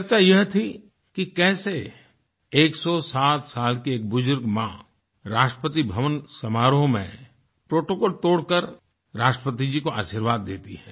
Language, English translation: Hindi, The buzz was about how a 107 year old elderly motherly figure broke the protocol to bless the President